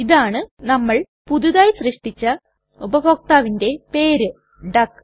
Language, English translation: Malayalam, And here is our newly created user named duck